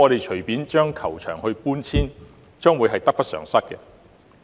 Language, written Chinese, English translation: Cantonese, 隨意搬遷球場，我相信將會得不償失。, I trust that the loss will outweigh the gain if the golf course is arbitrarily relocated